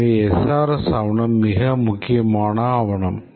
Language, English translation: Tamil, So, the SRS document is a very important document